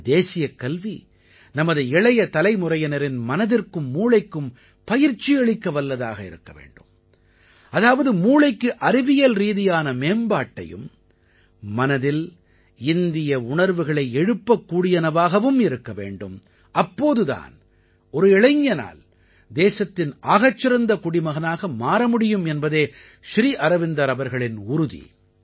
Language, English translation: Tamil, Sri Aurobindo used to say that our national education should focus on training of the hearts and minds of our younger generation, that is, scientific development of the mind and Indian ethos residein the heart should also be there, then only a young person can become a better citizen of the country